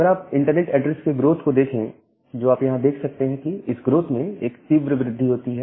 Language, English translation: Hindi, So, if you look into the growth of internet address which are there, you will see that there is a sharp increase in this growth